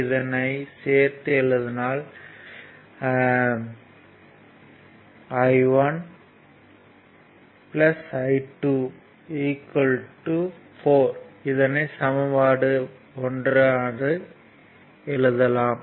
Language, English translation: Tamil, So, put here i 2 is equal to 2 i 3